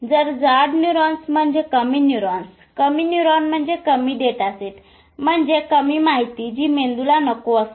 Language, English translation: Marathi, So, thicker neurons will mean less neurons, less neurons will mean less data sets which will mean less information which brain doesn't want